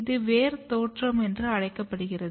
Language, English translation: Tamil, So, this is called root emergence